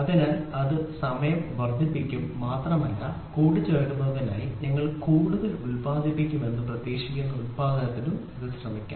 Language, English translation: Malayalam, So, this will increase the time and it will also try to produce you are expected to produce more to make it assemble